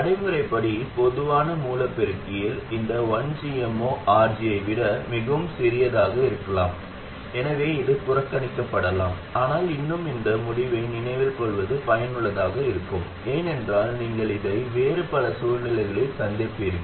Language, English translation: Tamil, Now in a practical common source amplifier there is 1 by GM 0 is likely to be much much smaller than RG so it can be neglected But still this result itself is useful to remember because you will encounter this in many other situations